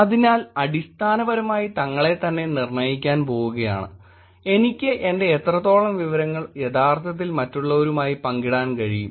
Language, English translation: Malayalam, ” So it is basically about to determine for themselves, how much of my information I can actually share with others